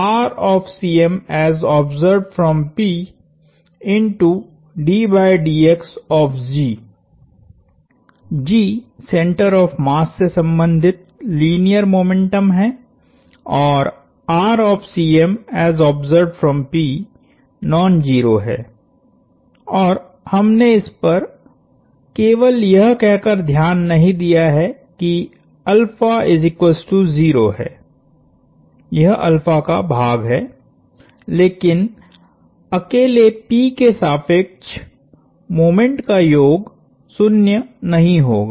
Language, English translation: Hindi, G is the linear momentum associated with the center of mass and r of c M as observed from p is non zero and we have ignore that in simply saying that alpha is 0, this is the alpha part, but summation of moments about p alone would not be 0